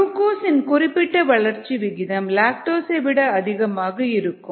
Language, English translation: Tamil, this specific growth rate on glucose would be higher then the specific rate growth rate on lactose